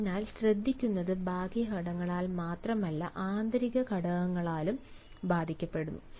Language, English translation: Malayalam, so listening is affected not only by external factors, rather they are also affected by internal factors